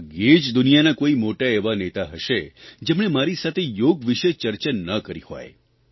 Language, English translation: Gujarati, There must hardly be a major world leader who has not discussed yoga with me and this has been my experience all over the world